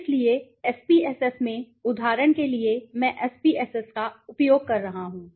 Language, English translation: Hindi, So, in the SPSS for example I am using SPSS